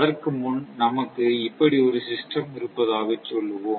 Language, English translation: Tamil, For example, before showing this, suppose you have a system